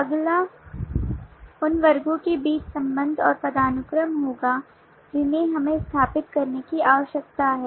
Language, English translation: Hindi, the next will be the relationship and hierarchy between the classes that we need to establish